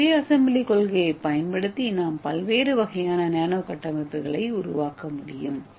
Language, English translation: Tamil, So using this self assembly principle we can make a different kind of nano structures and we can reach even two dimensional lattice